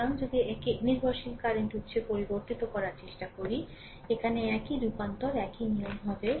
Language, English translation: Bengali, So, if try to convert it to the your what you call dependent current source, same transformation same philosophy here right